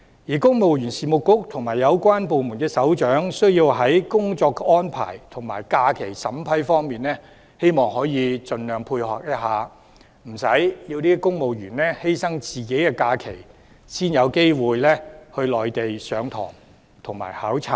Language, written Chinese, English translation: Cantonese, 而公務員事務局和有關部門的首長應在工作安排和假期審批上盡量配合，避免令公務員犧牲自己的假期才有機會到內地上堂和考察。, The Civil Service Bureau and the heads of other relevant departments should provide support as far as possible in respect of work arrangement and leave approval so that civil servants would not have to sacrifice their leave in order to have the opportunities to go to the Mainland for classes and studies